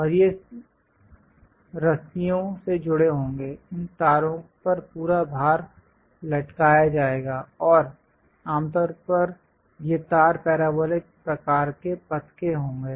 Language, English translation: Hindi, And these will be connected by ropes, entire weight will be suspended on these wires, and typically these wires will be of parabolic kind of path